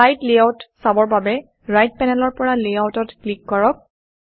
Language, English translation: Assamese, To view the slide layouts, from the right panel, click Layouts